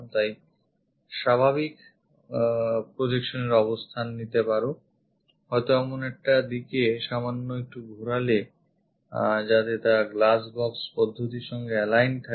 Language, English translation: Bengali, So, pick the natural projection position perhaps slightly turn it in such a way that align with glass box method